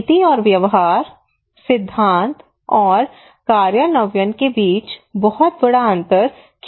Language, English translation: Hindi, There is a huge gap between policy and practice, theory and implementation why